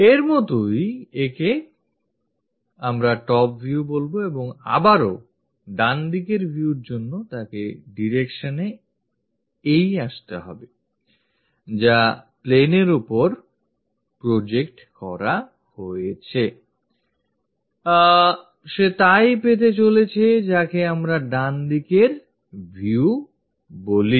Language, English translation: Bengali, As this we call as top view and again, for the right side view, he has to come to that direction, look on that plane whatever it is projected, he is going to get that is what we call right side view